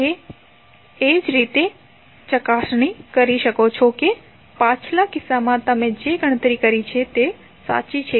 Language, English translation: Gujarati, So, in this way you can cross verify that whatever you have calculated in previous case is correct